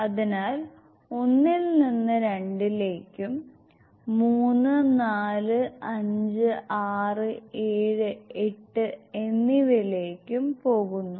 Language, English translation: Malayalam, So we go from 1 to 2, 3 to 4, 5, 6,7 and 8 exactly the same